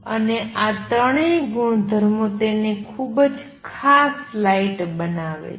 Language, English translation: Gujarati, And all these three properties make it a very special light